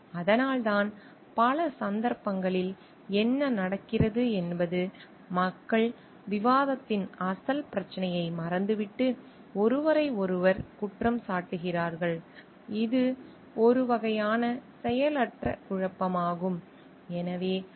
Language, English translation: Tamil, And that is why what happens in many cases people just forget the original issue of discussion and go on blaming each other which is a kind of disfunctional conflict